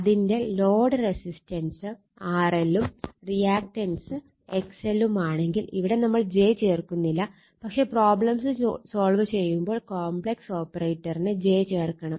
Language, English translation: Malayalam, So, suppose it resistance that you load resistance is R L and say reactance is X L j is not put any have, but when you solve the problem you have to put j the complex operator and voltage across the load is V 2 it is given here, right